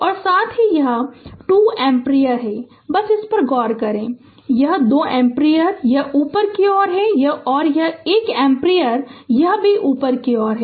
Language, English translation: Hindi, And at the same time this 2 ampere just look into this; this 2 ampere, it is upward right; and this 1 ampere, it is also upward